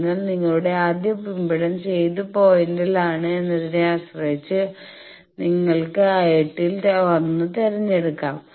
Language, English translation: Malayalam, So, your first impedance at which point depending on that you can choose 1 of that 8 ones